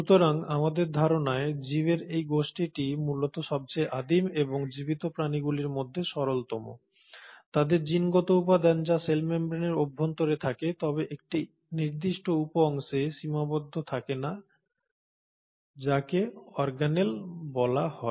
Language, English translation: Bengali, So this group of organisms basically most primitive ones as we think and the simplest of the living organisms, consist of their genetic material which is inside the cell membrane but is not in confined to a specific subpart which is called as the organelle